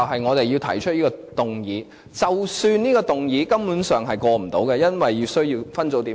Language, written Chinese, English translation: Cantonese, 我們要提出這項議案，即使知道這項議案很可能無法通過，因為需要分組點票。, We have to move this motion even though we know it is very unlikely that this motion can be passed as it is subject to a division